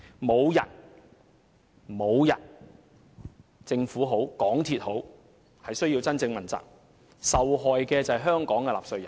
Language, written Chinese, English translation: Cantonese, 無論是政府或港鐵公司，無人需要問責，而受害的是香港的納稅人。, In the end neither the Government nor the MTRCL is held accountable but Hong Kong taxpayers must all suffer